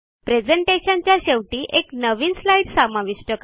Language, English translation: Marathi, Insert a new slide at the end of the presentation